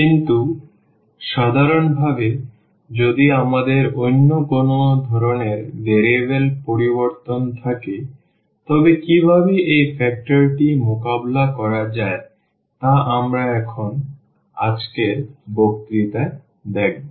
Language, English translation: Bengali, But in general, if we have any other type of change of variables then what how to deal with this factor and we will see now in today’s lecture